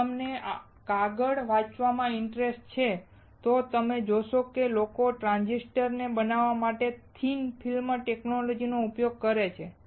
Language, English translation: Gujarati, If you are interested in reading papers then you will find that people use the thin film technology to fabricate transistors